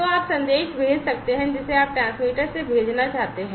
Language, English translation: Hindi, So, you can enter the message that you want to send from the transmitter